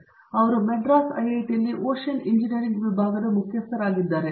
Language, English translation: Kannada, He is the head of Department of Ocean Engineering here at IIT, Madras